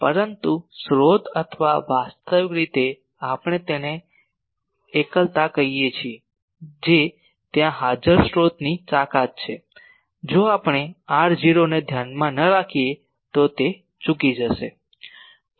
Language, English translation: Gujarati, But the source or the actual we call it singularity that is present there the strength of the source that will miss out if we do not consider the r 0 point